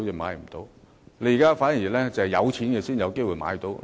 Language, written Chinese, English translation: Cantonese, 目前，反而是有錢的人才有機會買樓。, At present home purchase is only for the rich